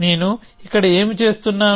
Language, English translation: Telugu, So, what am I doing here